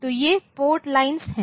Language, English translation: Hindi, So, these are the port lines